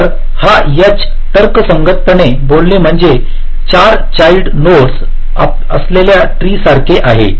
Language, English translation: Marathi, so this h, logically speaking, is like a tree with four child nodes